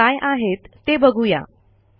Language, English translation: Marathi, Let us see what they contain